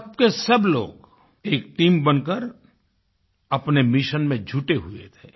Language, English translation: Hindi, All of them came together as a team to accomplish their mission